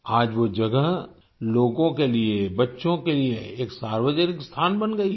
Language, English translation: Hindi, Today that place has become a community spot for people, for children